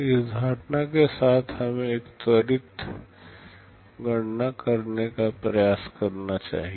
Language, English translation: Hindi, With this assumption let us try to make a quick calculation